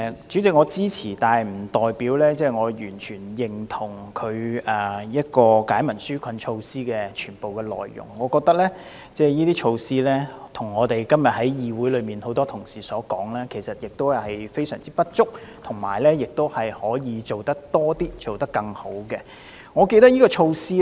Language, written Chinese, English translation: Cantonese, 主席，我支持《條例草案》，但不代表我完全認同有關解民紓困措施的全部內容，我認為這些措施，正如今天議會內很多同事所說，其實是非常不足，其實可以做多一些，做好一些。, President I support the Bill but this does not mean that I fully recognize all the content of the relief measures . In my view these measures as pointed out by many colleagues in this Council today are highly insufficient indeed and the Government can do more and do better